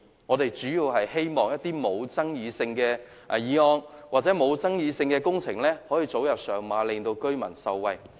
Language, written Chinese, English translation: Cantonese, 我們主要是希望一些沒有爭議性的工程可以早日上馬，令居民受惠。, We really hope that projects that are not controversial can commence as early as possible and bring benefits to the residents